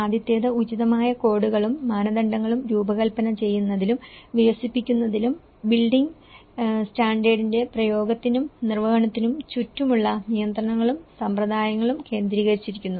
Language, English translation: Malayalam, The first one has been focused on the designing and developing appropriate codes and standards, the regulations and practices surrounding the application and enforcement of the building standard